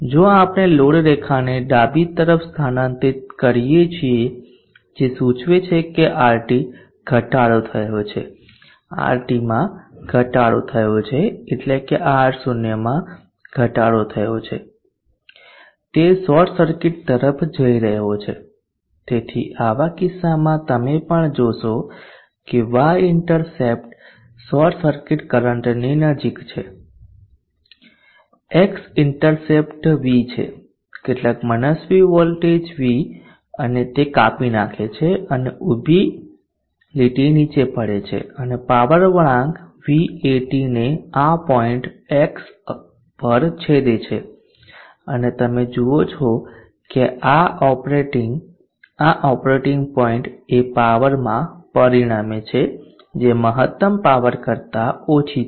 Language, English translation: Gujarati, If we shift the load line to the left implying that RT has decreased RT decrease means R0 as decrease it is going towards short circuit, so in such a case also you will see that the y intercept is closer to the short circuit current value the x intercept we sum arbitrary voltage V and it cuts the and the vertical line drops down and intersect the power curve vat this point X and you see that this operating point results in a power drawn which is much lesser than the peak power, so it is only at this operating point here you see that the power drawn on the PV panel is maximum let me say that the this operating point is tracking the maximum power point or its drawing maximum power from the PV panel